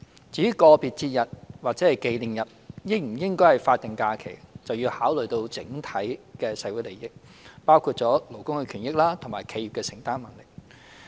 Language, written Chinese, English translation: Cantonese, 至於個別節日或紀念日應否列為法定假日，則要考慮整體的社會利益，包括勞工權益及企業的承擔能力。, Regarding whether an individual festival or commemorative days should be designated as a statutory holiday consideration should be given to the interests of the society as a whole including labour rights and benefits and the affordability of employers